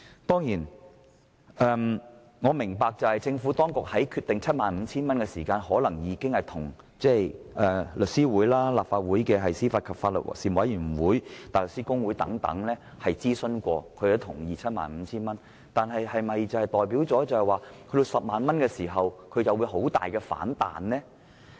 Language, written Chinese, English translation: Cantonese, 當然，我明白政府當局決定將限額提高至 75,000 元時，可能已諮詢香港律師會、立法會司法及法律事務委員會及香港大律師公會等，而他們亦同意這限額，但這是否表示將限額提高至 100,000 元，他們便會激烈反對？, Of course I understand that when the Government decided to raise the limit to 75,000 it might have already consulted The Law Society of Hong Kong the Panel on Administration of Justice and Legal Services of the Legislative Council as well as the Hong Kong Bar Association and they agreed to this limit . But does it mean that they will strongly oppose to raising the limit to 100,000?